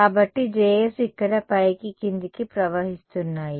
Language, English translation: Telugu, So, J s is flowing all the way up and down over here